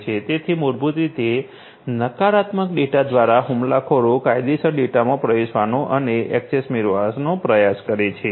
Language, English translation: Gujarati, So, basically through this those negative data, basically the attacker tries to get in and get access to the legitimate data